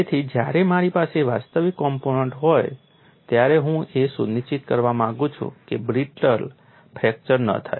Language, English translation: Gujarati, So, when I have an actual component, I would like to ensure brittle fracture does not occur